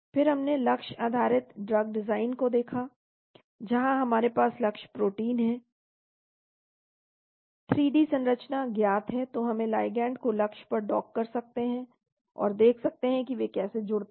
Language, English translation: Hindi, Then we looked at target based drug design, where we have the target protein, 3D structure is known, so we can dock the ligand to the target, and see how they bind